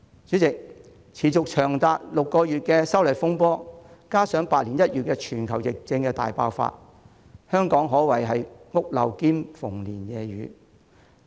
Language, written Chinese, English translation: Cantonese, 主席，歷時長達6個月的修例風波，加上百年一遇的全球疫症大爆發，香港可謂"屋漏兼逢連夜雨"。, President Hong Kong can be described as facing the double whammy of the disturbances arising from the opposition to the proposed legislative amendments lasting as long as six months and the once - in - a - century global outbreak of pandemic